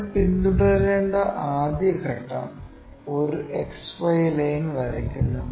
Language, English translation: Malayalam, The first step what we have to follow is draw an XY line